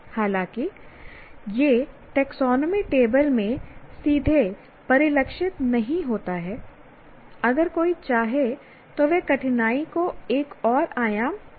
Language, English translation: Hindi, Though it doesn't directly get reflected in the taxonomy table, but one, if one wants, they can, they can have add another dimension of difficulty to that